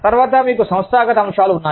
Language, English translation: Telugu, Then, you have organizational factors